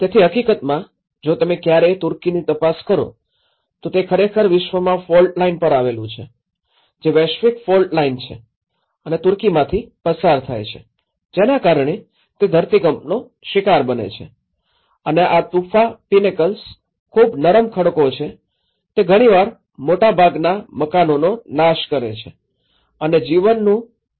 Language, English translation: Gujarati, So, in fact, if you ever look into the Turkey, it actually falls the fault line in the world which the global fault line which actually passes through the Turkey and Turkey is prone to the earthquakes and these tufa pinnacles being a very soft rock nature, they often collapse destroying many dwellings and also causing a serious loss of life